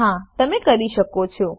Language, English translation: Gujarati, Yes, we can